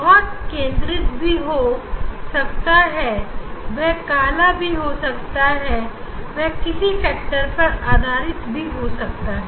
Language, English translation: Hindi, it can be at the center, it can be center one it can be dark, it can be b depend on some factor